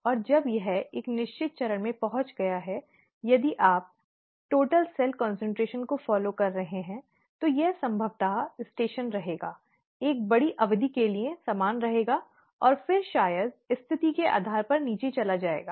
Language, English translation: Hindi, And after it has reached a certain stage, if you are following the total cell concentration, it will probably remain , remain the same for a large period of time and then probably go down depending on the situation